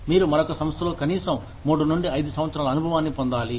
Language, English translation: Telugu, You are required to gain, at least 3 to 5 years of experience, in another organization